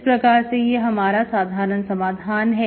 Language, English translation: Hindi, So the general solution is this